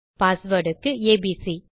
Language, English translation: Tamil, My password will be abc